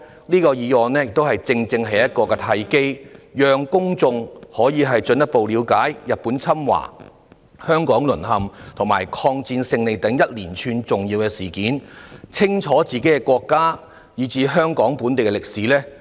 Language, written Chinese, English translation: Cantonese, 這項議案正是一個契機，讓公眾可以進一步了解日本侵華、香港淪陷及抗戰勝利等連串重要事件，清楚自己的國家以至香港本地的歷史。, This motion has precisely provided an opportunity for the public to gain a better understanding of a series of important events including Japans invasion of China Japanese occupation in Hong Kong and the victory of the Anti - Japanese War and to know clearly the history of their own country and Hong Kong